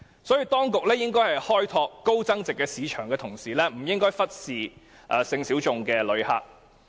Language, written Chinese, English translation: Cantonese, 所以，當局在開拓高增值市場的同時，不應該忽視性小眾的旅客。, Hence the authorities should not neglect the sexual minority tourists when they seek to develop high - yield markets